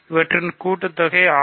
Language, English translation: Tamil, What is a multiple of 6